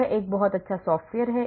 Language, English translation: Hindi, This is a very good software